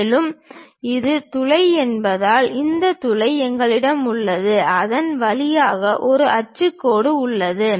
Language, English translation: Tamil, And, because this is the hole, we have that bore there and there is a axis line which pass through that